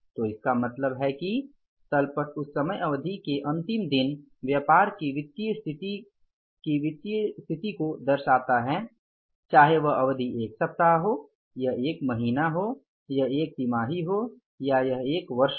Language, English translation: Hindi, So, it means balance sheet depicts the picture, the financial position of the business only for the last day of that time period, whether it is a week, it is a month, it is a quarter or it is here